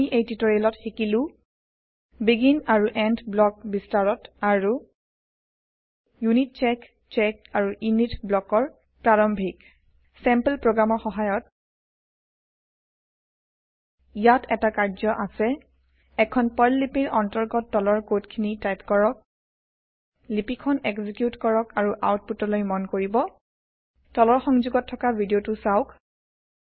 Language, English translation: Assamese, In this tutorial, we have learnt BEGIN and END blocks in detail and Introduction to UNITCHECK, CHECK and INIT blocks using sample programs Here is assignment for you Type the below code inside a PERL script Execute the script and observe the output